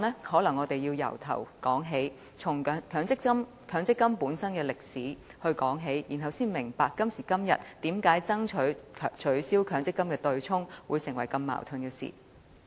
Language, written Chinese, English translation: Cantonese, 可能我要從頭由強積金的歷史說起，然後大家才明白為何今天爭取取消強積金對沖機制會產生矛盾。, Perhaps I should explain the history of MPF so that Members will understand why the demand for abolishing the MPF offsetting mechanism today has been met with opposition